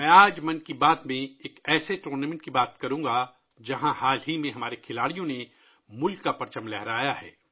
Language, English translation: Urdu, Today in 'Mann Ki Baat', I will talk about a tournament where recently our players have raised the national flag